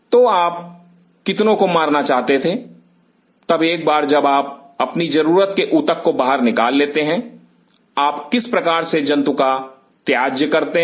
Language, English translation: Hindi, So, then how many you wanted to kill, then once you take out your desired tissue how you dispose the animal